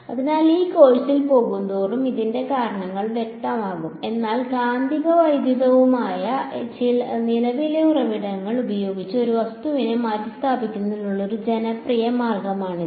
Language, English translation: Malayalam, So, the reason for this will become sort of clear as we go along in this course, but this is a popular way of replacing an object by current sources magnetic and electric ok